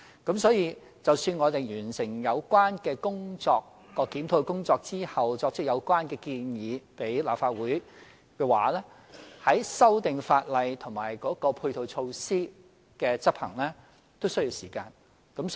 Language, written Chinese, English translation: Cantonese, 因此，待我們完成有關檢討工作，向立法會提出有關建議後，修訂法例和配套措施的執行也需要時間。, Therefore after we completed the review and made proposals to the Legislative Council it would still take time to amend the law and implement the matching measures